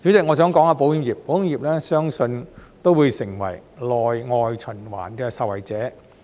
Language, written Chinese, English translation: Cantonese, 我相信保險業也會成為內外循環的受惠者。, I believe the insurance industry will also become a beneficiary of domestic and international circulation